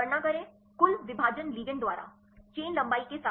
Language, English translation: Hindi, Calculate total divided by ligand normalize with the chain length